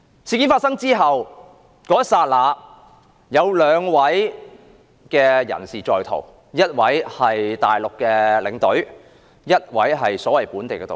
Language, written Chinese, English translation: Cantonese, 事件發生後，有兩名人士在逃，一名是內地領隊，一名是所謂的"本地導遊"。, Tragically he died in a foreign place . After the incident two persons absconded . One of them was a Mainland tour escort and the other was the so - called local tourist guide